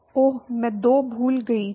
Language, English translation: Hindi, oh, I forgot a 2